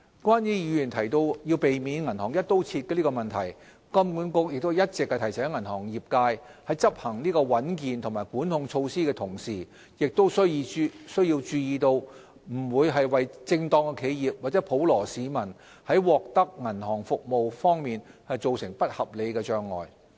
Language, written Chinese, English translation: Cantonese, 關於議員提到要避免銀行"一刀切"的問題，金管局一直提醒銀行業界在執行穩健的管控措施的同時，亦須注意不要為正當企業及普羅市民在獲得銀行服務方面造成不合理的障礙。, On the Members suggestion for banks to refrain from adopting a one - size - fits - all approach it should be noted that HKMA has been reminding the banking industry that in implementing robust regulatory measures they should take care that the access of banking services by legitimate businesses and ordinary citizens should not be unreasonably impeded